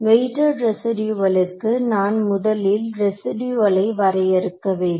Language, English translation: Tamil, So, first of all for weighted residual I must define the residual